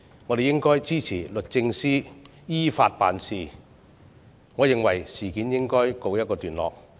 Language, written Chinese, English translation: Cantonese, 我們應該支持律政司依法辦事，而事件也應該告一段落。, We should support DoJ in acting in accordance with law and the incident should come to an end